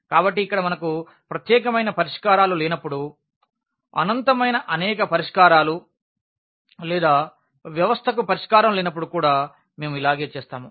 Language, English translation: Telugu, So, here we will be also dealing the cases when we have non unique solutions meaning infinitely many solutions or the system does not have a solution